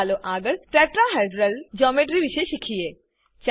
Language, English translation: Gujarati, Next, let us learn about Tetrahedral geometry